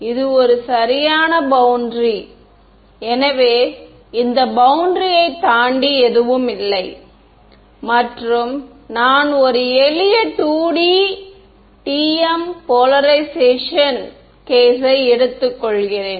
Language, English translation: Tamil, So, this is a right boundary I means there is nothing beyond this boundary and I am taking a simple 2D TM polarization case ok